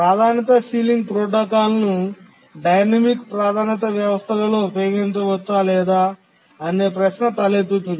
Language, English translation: Telugu, Now, can the priority sealing protocol be used in the dynamic priority systems